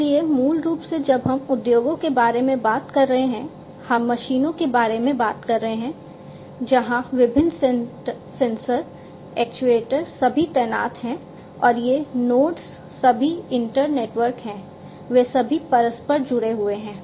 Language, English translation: Hindi, So, basically you know when we are talking about industries, we are talking about machines , where different sensors actuators are all deployed and these nodes are all inter network, they are all interconnected